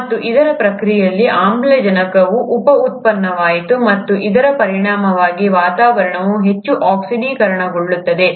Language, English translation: Kannada, And in the process of this, oxygen became a by product and as a result the atmosphere becomes highly oxidized